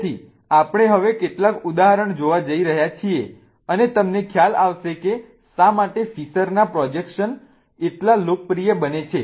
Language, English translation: Gujarati, So, we are going to see some of the examples now and you will realize why fissure projections become so popular